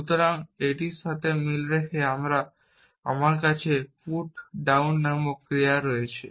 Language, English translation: Bengali, So, corresponding to this, I have an action called put down